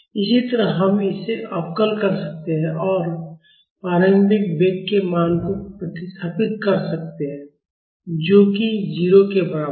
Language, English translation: Hindi, Similarly, we can differentiate this and substitute the value of initial velocity, which is equal to 0